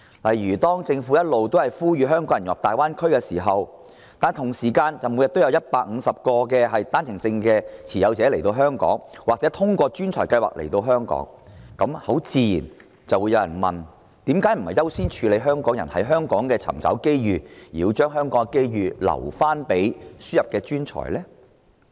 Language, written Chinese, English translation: Cantonese, 例如，政府不斷呼籲香港人融入大灣區，與此同時，每天又有150個單程證持有人或通過優秀人才入境計劃的內地人來港，這難免令人質疑，為何不優先讓香港人在香港尋找機遇，反而把香港的機遇留給輸入的專才？, For instance the Government keeps urging Hong Kong people to integrate into the Greater Bay Area; meanwhile there are 150 OWP holders and other Mainlanders―through the Quality Migrant Admission Scheme―coming to Hong Kong every day . It would be inevitable for people to wonder why instead of giving Hong Kong people priority in seeking opportunities in Hong Kong the Government is saving those opportunities in Hong Kong for imported talent